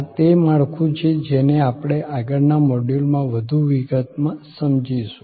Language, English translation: Gujarati, That is the structure that, we will take up in more detail in the next module